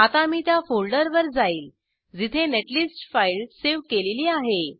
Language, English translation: Marathi, Now I go to the folder where the netlist file, example.cir, is saved